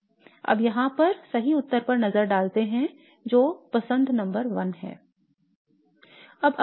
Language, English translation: Hindi, Now let's look at the correct answer over here which is choice number one